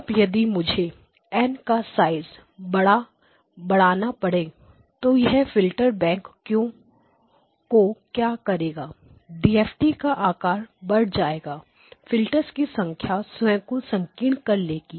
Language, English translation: Hindi, Now if I have to increase the size of N what does it do to the filter bank the size of the DFT increases the number of filters makes them narrower